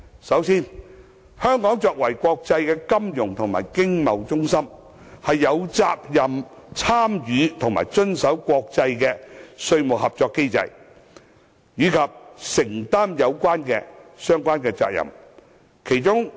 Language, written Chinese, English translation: Cantonese, 首先，香港作為國際金融及經貿中心，有責任參與和遵守國際的稅務合作機制，以及承擔相關責任。, For one thing as an international financial economic and trading centre Hong Kong is obliged to take part in and comply with the international tax cooperation mechanism and take on relevant responsibilities